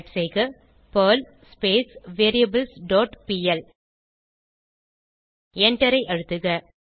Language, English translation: Tamil, Execute the script by typing perl variables dot pl and press Enter